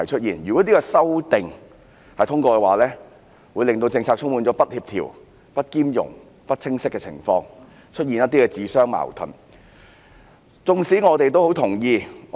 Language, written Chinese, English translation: Cantonese, 如果《條例草案》獲得通過，政策便會變得不協調、不兼容、不清晰，並出現一些自相矛盾的地方。, Upon passage of the Bill the policies will become inconsistent incompatible unclear and self - contradictory in some areas